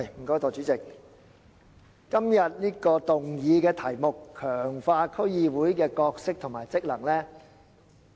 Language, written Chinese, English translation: Cantonese, 代理主席，今天議案的題目是："強化區議會的角色及職能"。, Deputy President the title of the motion today is Strengthening the role and functions of District Councils